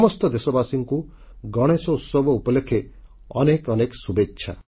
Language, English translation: Odia, My heartiest greetings to all of you on the occasion of Ganeshotsav